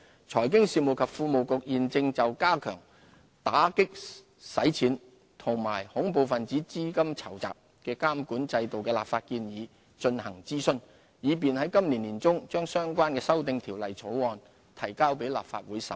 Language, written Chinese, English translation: Cantonese, 財經事務及庫務局現正就加強打擊洗錢及恐怖分子資金籌集監管制度的立法建議進行諮詢，以便在今年年中把相關修訂條例草案提交立法會審議。, The Financial Services and the Treasury Bureau is conducting consultations on legislative proposals to enhance the regulatory regime for combating money laundering and terrorist financing with a view to introducing the relevant amendment bills into the Legislative Council for scrutiny in the middle of this year